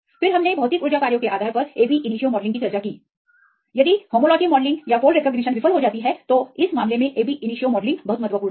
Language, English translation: Hindi, Then we discussed about the ab initio based on the physical energy functions right if the homology modelling or the fold recognition fails then it is very important to do this ab initio